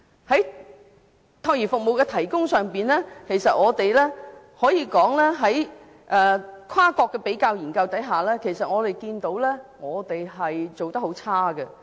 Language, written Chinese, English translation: Cantonese, 在託兒服務的提供上，根據一些跨國的比較研究，我們看到香港做得很差。, With regard to the provision of child care services we can see from some cross - national comparative studies that Hong Kong has done a very bad job